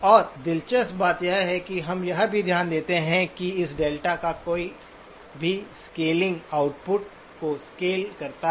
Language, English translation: Hindi, And interestingly, we also note that any scaling of this delta also scales the output